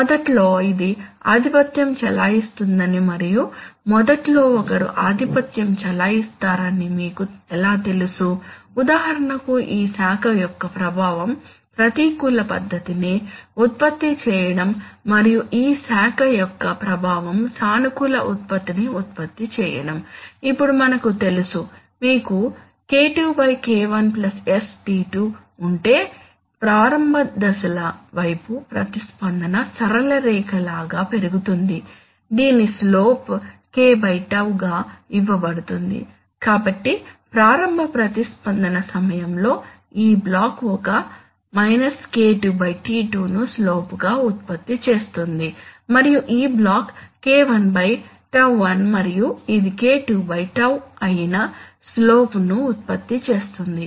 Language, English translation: Telugu, But how do you know that that initially this one will dominate and initially that one will dominate, for example the effect of this branch is to produce a negative output and the effect of this branch is to produce a positive output, now we can, we know that if you have a K2 by K1 plus sτ2 then towards the initial phases then towards the initial phases the response increases like a straight line whose slope is given by K/ τ so in during initial response this block will produce a slope which will be K2/ τ2 and this block will produce a slope which is K1 / τ1 and this is K2/ τ